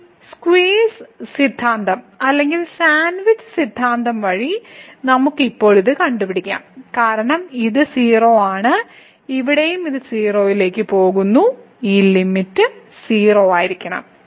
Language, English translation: Malayalam, So, by this squeeze theorem or sandwich theorem, we can get now the limit this as because this is 0 and here also in the limiting scenario this is also going to 0 so, this limit has to be 0